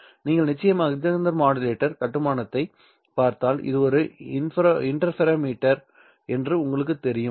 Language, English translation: Tamil, If you of course look at what the MagCenter modulator construction is, you know that this itself is an interferometer